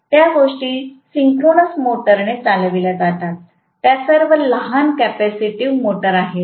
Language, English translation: Marathi, Those things are run with synchronous motors; those are all small capacitive motors right